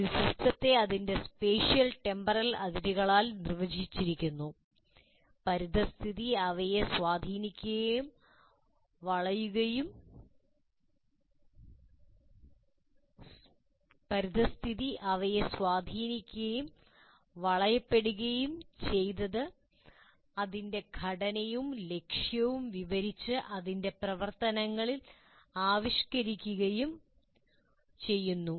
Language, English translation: Malayalam, And a system is delineated by its spatial and temporal boundaries, surrounded and influenced by its environment, described by its structure and purpose and expressed in its functioning